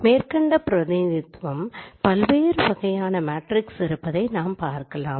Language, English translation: Tamil, It can be shown as a combination of different types of matrices